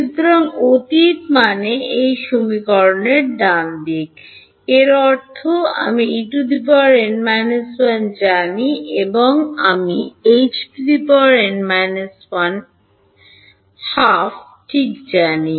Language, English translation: Bengali, So, past means the right hand side of this equation; that means, I know E n minus 1 I know H n minus half ok